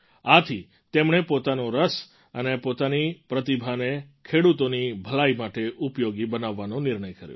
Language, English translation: Gujarati, So, he decided to use his interest and talent for the welfare of farmers